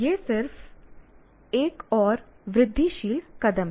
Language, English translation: Hindi, This is just another incremental step forward